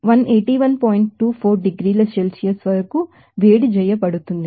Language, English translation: Telugu, 24 degree Celsius